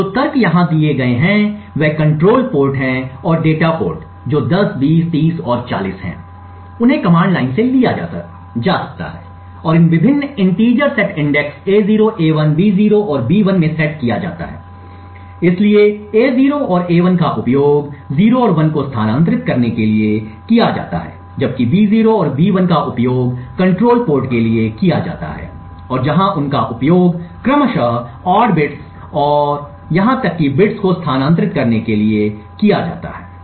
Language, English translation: Hindi, So, the arguments that are provided over here that is the control ports and the data ports that is 10, 20, 30 and 40 are taken from the command line and set into these various integers set index A0, A1, B0 and B1, so A0 and A1 are used to transfer 0 and 1 while B0 and the BE are used for the control ports and where they are used to transfer the odd bits and the even bits respectively